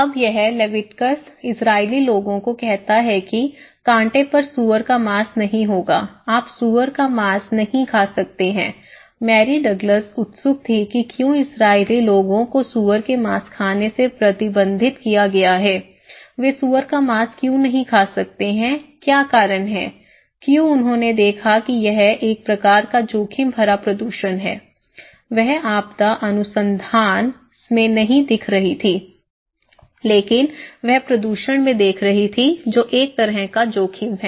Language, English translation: Hindi, Now, these Leviticus to the Israeli people they are saying hey, no pork on my fork, you cannot eat pork okay, no pork on my fork so, Mary Douglas was curious why Israeli people are restricted not to have pork, why they cannot eat pork, what is the reason, why they seen it is a kind of risky pollutions, she was not looking into disaster research but she is looking into pollution that is also a kind of risk